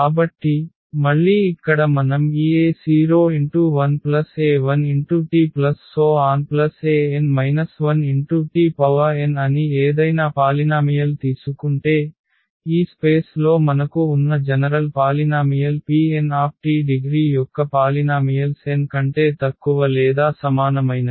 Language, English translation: Telugu, So, again here if we take any polynomial that say this a 0 a 1 t a 2 t square that is a general polynomial we have in this space P n t they are the polynomials of the degree less than or equal to n